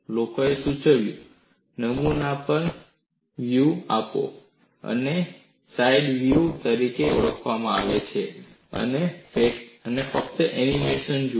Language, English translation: Gujarati, People suggested provide grooves on the specimen, and these are known as side grooves, and you just watch the animation